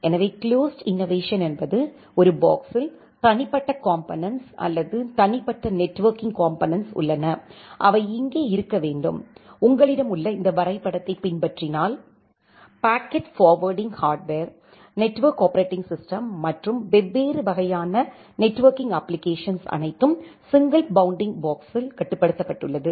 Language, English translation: Tamil, So, closed innovation means in a single box, we have the individual components or individual networking components, which should be there like here, if you just follow this diagram you have the packet forwarding hardware, the network operating system and the different kind of networking application everything is bounded on the single bounding box